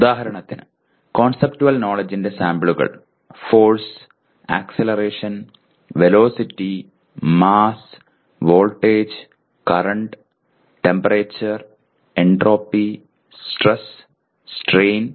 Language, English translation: Malayalam, For example samples of conceptual knowledge Force, acceleration, velocity, mass, voltage, current, temperature, entropy, stress, strain